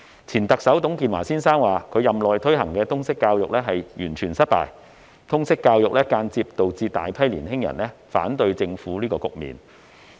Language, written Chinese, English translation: Cantonese, 前特首董建華先生說他任內推行的通識教育完全失敗，而且間接造成大批年青人反對政府的局面。, Former Chief Executive TUNG Chee - hwa said that the introduction of LS during his tenure was a complete failure and had indirectly led to the situation in which a large number of young people oppose the Government